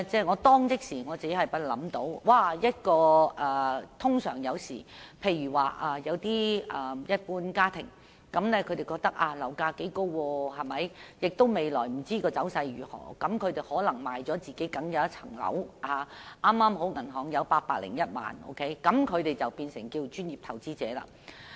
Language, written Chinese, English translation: Cantonese, 我當時立即想到，一般家庭若感到樓價頗高，又不知未來走勢如何，便可能會出售名下僅有的單位，令銀行存款剛好有801萬元，於是便可成為專業投資者。, Immediately it crossed my mind back then that an average family may having regard for the fairly exorbitant property prices but not knowing what the future market trend will be like proceed to sell the only housing flat it owns . Suppose the familys savings account balance happens to stand at 8.01 million after the flat is sold and the account holder becomes a qualified professional investor then